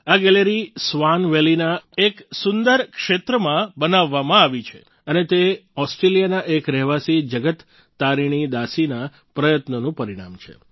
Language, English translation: Gujarati, This gallery has been set up in the beautiful region of Swan Valley and it is the result of the efforts of a resident of Australia Jagat Tarini Dasi ji